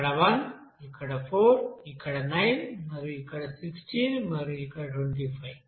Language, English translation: Telugu, This will be 1 here then 4 this 9 and then here 16 and then 25